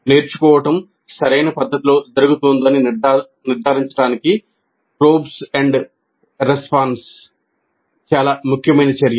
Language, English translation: Telugu, This is probe and respond is a very key activity to ensure that learning is happening in a proper fashion